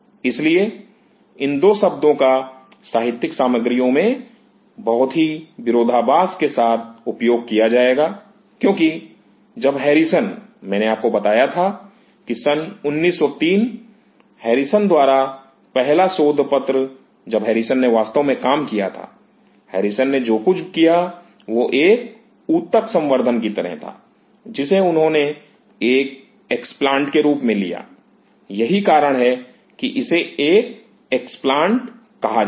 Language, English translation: Hindi, So, there will be these 2 words have been used very oppositely in the literature because when Harrison, I told you that 1903; the first paper by Harrison when Harrison did actually, what Harrison did was something like a tissue culture he took an explant, this is that is why it is called an explant